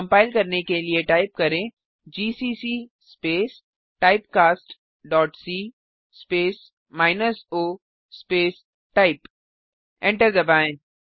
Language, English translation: Hindi, To compile, type gcc space typecast dot c space minus o space type.Press Enter